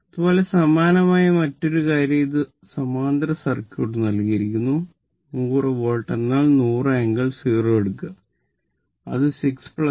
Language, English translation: Malayalam, So, similarly another thing is given this a parallel circuit 100 Volt means, you take 100 angle 0, hundred angle 0 and it is 6 plus your j 8 and this is your 4 minus j , j 3 right